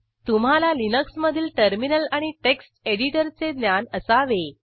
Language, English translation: Marathi, You must have knowledge of using Terminal and Text editor in Linux